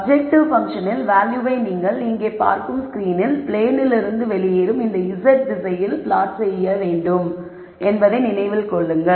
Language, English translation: Tamil, Remember that the value of the objective function is going to be plotted in the z direction coming out of the plane of the screen that you are seeing